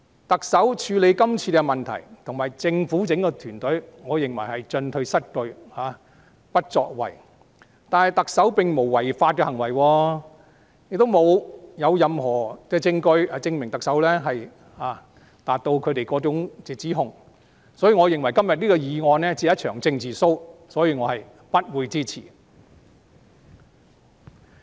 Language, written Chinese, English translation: Cantonese, 我認為特首和政府整個團隊在處理今次的問題上，只是進退失據和不作為，但特首並無作出違法行為，亦沒有任何證據證明特首符合他們的指控，所以我認為今天的議案只是一場政治 show， 我是不會支持的。, In handling the problem this time around I think the Chief Executive and the Government team as a whole have merely been indecisive and failing to take action yet the Chief Executive has done nothing breaching the law and there is no evidence justifying their allegations of the Chief Executive . Hence I think the motion proposed today is merely a political show and hence I will not support it